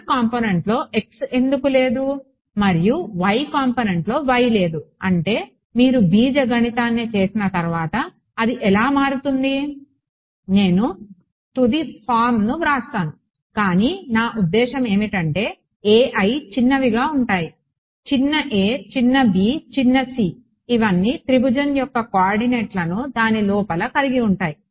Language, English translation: Telugu, Why is there no x in the x component and no y in the y component that is just how it turns out once you do the algebra ok, I am writing down the final form, but if you I mean these a i’s small a small b small c they all have the cord coordinates of the triangle inside it right